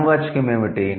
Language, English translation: Telugu, And what is the noun